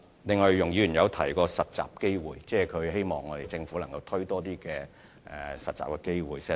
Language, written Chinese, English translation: Cantonese, 此外，容議員也有提過實習機會，她希望政府推出更多的實習機會。, Furthermore when mentioning internship opportunities Ms YUNG Hoi - yan expressed her hope for more internship opportunities to be provided by the Government